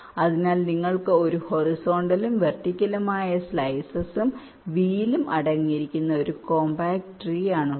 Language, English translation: Malayalam, this is a composite tree which consists of horizontal and vertical slices, as well as this wheel